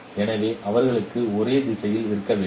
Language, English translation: Tamil, So they should have the same direction